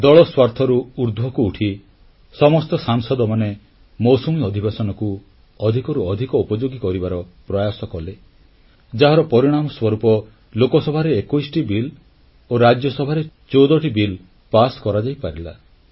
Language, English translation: Odia, All the members rose above party interests to make the Monsoon session most productive and this is why Lok Sabha passed 21 bills and in Rajya Sabha fourteen bills were passed